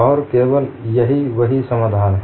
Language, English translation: Hindi, And this is only the correct solution